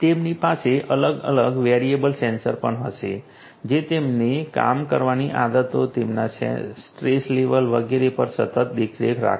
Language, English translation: Gujarati, They also will have different variable sensors which continuously are going to monitor there you know their work habits, you know their stress level and so on and so forth